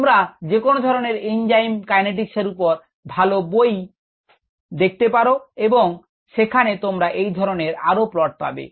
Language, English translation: Bengali, ah, you can look at any standard book on enzyme kinetics, including your text book, and that will give you the other plots also